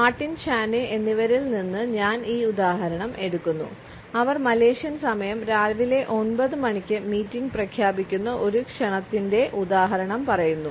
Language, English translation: Malayalam, I take this example from Martin and Chaney, who have cited this example of an invitation where the meeting is announced at 9 AM “Malaysian time”